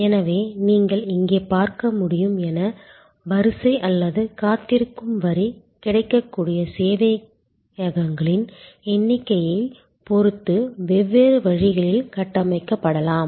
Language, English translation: Tamil, So, as you can see here, the queue or the waiting line can be structured in different ways depending on the number of servers available